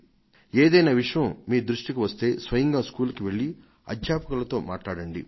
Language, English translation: Telugu, And if something strikes your attention, please go to the school and discuss it with the teachers yourself